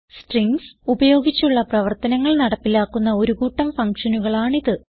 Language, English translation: Malayalam, These are the group of functions implementing operations on strings